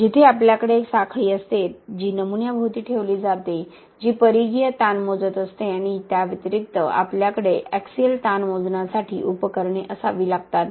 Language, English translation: Marathi, Where we have a chain that is placed around the specimen which is measuring the circumferential strain and in addition, we have to have measuring devices for the axial strain